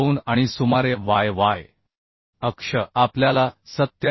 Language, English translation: Marathi, 2 and about y y axis we get 87